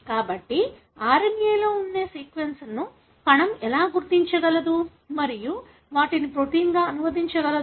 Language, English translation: Telugu, So, this is how cell is able to identify the sequences that are present in the RNA and translate them into the protein